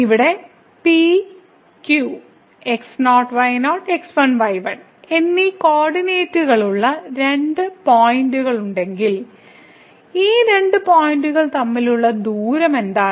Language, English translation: Malayalam, So, if we have two points P and Q having two coordinates here and ; then, what is the distance between these two points